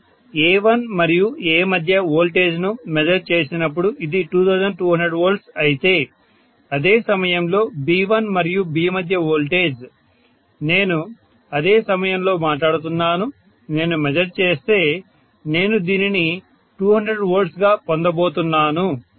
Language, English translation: Telugu, When I measure the voltage between A1 and A, this was 2200 V, whereas voltage between V1 and V at the same instant, I am talking about the same instant, if I am measuring, I am getting this as 220 V, fine